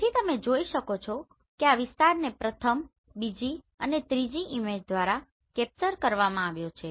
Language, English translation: Gujarati, So you can see this area has been captured by first, second and third image